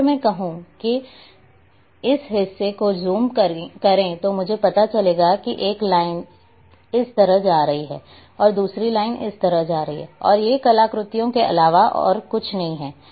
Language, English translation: Hindi, If I say zoom this part what I will find that the one line is going like this another line is going like this, and these are nothing but the artifacts